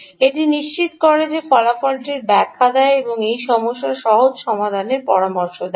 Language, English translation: Bengali, explain this result and suggest the simpler solution to this problem